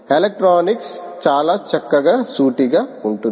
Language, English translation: Telugu, the electronics is pretty straight forward